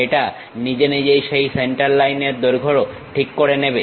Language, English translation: Bengali, It automatically adjusts that center line length